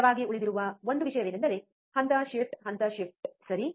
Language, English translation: Kannada, One thing that remains constant is the phase shift, is the phase shift, right